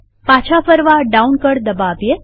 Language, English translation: Gujarati, To go back press the down key